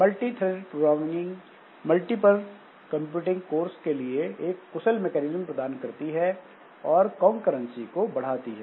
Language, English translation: Hindi, So, this multi threaded programming, it provides a mechanism for more efficient use of this multiple computing course and improving the concurrency